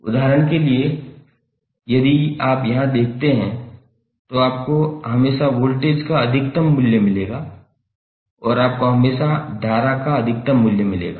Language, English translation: Hindi, As for example if you see here, you will always get peak value of voltage and you will always get peak value of current